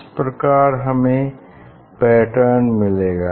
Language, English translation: Hindi, then this fringe will be circle